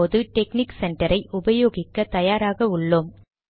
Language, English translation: Tamil, We are now ready to use the texnic center